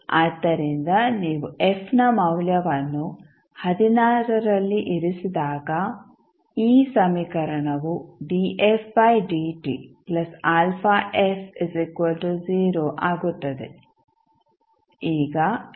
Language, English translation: Kannada, You can put this value again in this equation